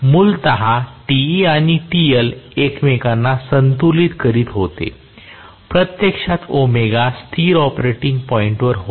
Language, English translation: Marathi, Originally, Te and TL were balancing each other, so omega was actually at a steady operating point